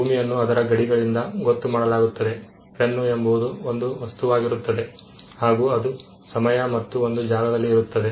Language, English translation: Kannada, A land is defined by its boundaries, a pen is an object that exists in time and space